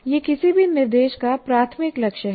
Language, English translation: Hindi, That is the major goal of any instruction